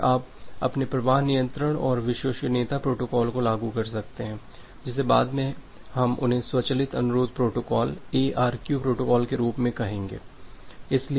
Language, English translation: Hindi, So, then you can apply your flow control and the reliability protocol which will look later on we call them as the automated request protocol ARQ protocol